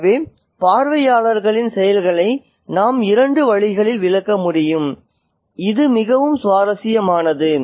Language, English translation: Tamil, So, so we can interpret the actions of the onlookers in two ways and that is very, very interesting